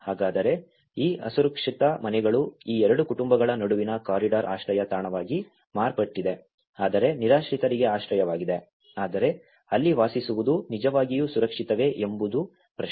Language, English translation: Kannada, So, that is where this unsafe houses has become a shelter for the corridor between these two families has become a shelter for the homeless people, but the question is, is it really safe to live there